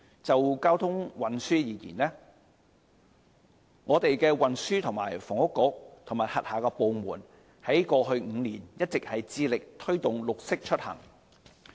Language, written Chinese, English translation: Cantonese, 就交通運輸而言，運輸及房屋局和轄下部門在過去5年一直致力推動"綠色出行"。, As regards traffic and transport the Transport and Housing Bureau and the departments under its charge have all along been committed to promoting green commuting over the past five years